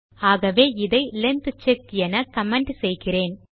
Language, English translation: Tamil, So I will comment this as length check